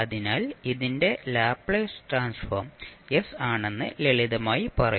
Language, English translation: Malayalam, So you will simply say that the Laplace transform of this is s